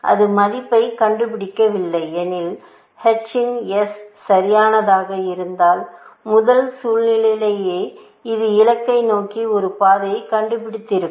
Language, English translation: Tamil, If it does not find the value, if h of s was perfect, then within the first situation itself, it would have found a path to the goal